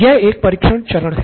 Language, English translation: Hindi, This is called the test phase